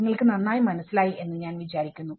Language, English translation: Malayalam, I hope you understand better